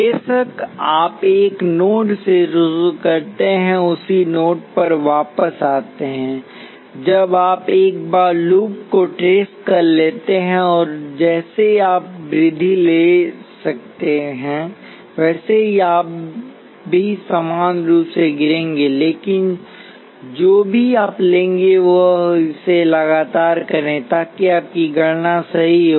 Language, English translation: Hindi, Of course, you start from a node and come back to the same node that is when you would have trace the loop once and just like you can take the rise you can also equally will take fall, but whichever you take you just do it consistently so that your calculations are correct